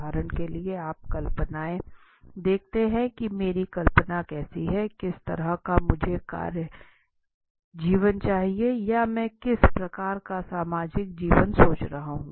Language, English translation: Hindi, For example, you see fantasies what are my fantasies how, what kind of a work life, work life I am having I want or what kind of a social life I am thinking of, what kind right